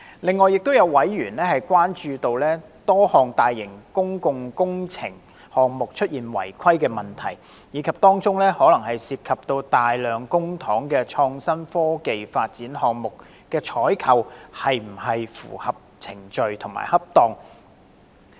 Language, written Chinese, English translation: Cantonese, 另外，亦有委員關注到多項大型公共工程項目出現違規問題，以及可能涉及大量公帑的創新及科技發展項目的採購程序是否符合規定和恰當。, Besides some members were concerned about cases of malpractice in a number of major public works projects as well as the compliance and appropriateness of the procurement procedures of various initiatives on innovation and technology development which might involve substantial amount of public money